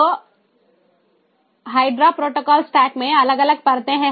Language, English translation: Hindi, so in the hydra protocol stack there are these different ah